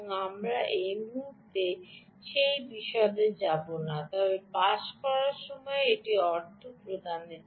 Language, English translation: Bengali, we will not get into that detail at the moment, but in passing, it is meant for payments